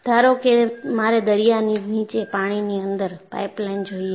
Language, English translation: Gujarati, Say, suppose I want to have a underwater pipeline below the sea